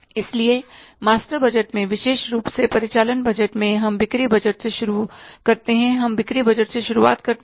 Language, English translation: Hindi, So, in the master budget, particularly in the operating budget, we start with the sales budget